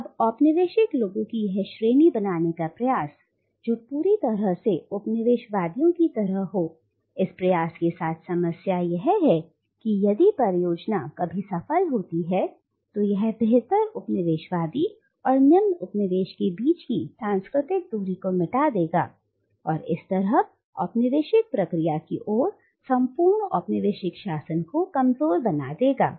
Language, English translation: Hindi, ” Now the problem with this effort to create a class of colonised people who are exactly like the coloniser is that if the project is ever to succeed then it will erase the assumed cultural gap between the superior coloniser and the inferior colonised, and thereby undermine the entire colonial process, entire colonial rule